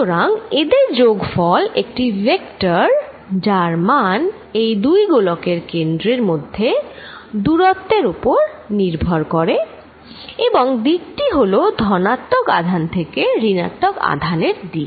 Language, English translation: Bengali, So, their sum is this vector whose magnitude that distance between the centres of theses spheres and vector is from positive charge towards the negative charge